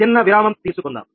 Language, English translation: Telugu, little break, thank you